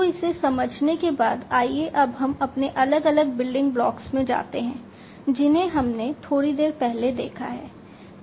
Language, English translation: Hindi, So, having understood this let us now go back to our different building blocks that we have seen in the little while back